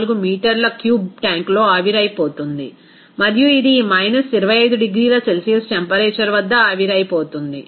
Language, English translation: Telugu, 0284 meter cube here and this will be vaporized at this at about this temperature of minus 25 degrees Celsius